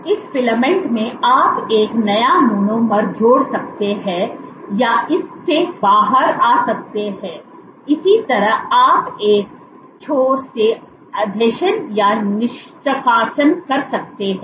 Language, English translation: Hindi, This filament in this filament you can have a new monomer getting added or coming out of it similarly you can have adhesion or removal from one end